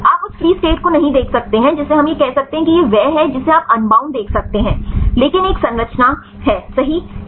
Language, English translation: Hindi, You cannot see the free state we can say this it the bound this you can see the unbound, but same a structure right